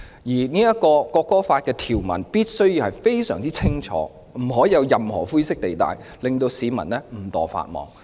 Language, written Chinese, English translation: Cantonese, 因此本地國歌法的條文必須非常清晰，不能有任何灰色地帶，令市民誤墮法網。, Thus the local national anthem law should be clearly drafted with no grey area to avoid people breaching the law inadvertently